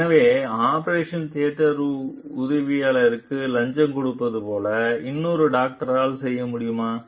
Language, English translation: Tamil, So, whether and another doctor can do like bribe the operation theatre attendant